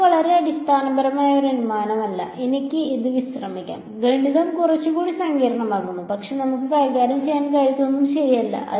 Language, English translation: Malayalam, this is not a very fundamental assumption I can relax it, the math becomes a little bit more complicated, but nothing that we cannot handle ok